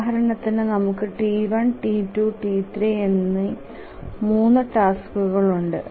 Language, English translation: Malayalam, We have three tasks, T1, T2 and T3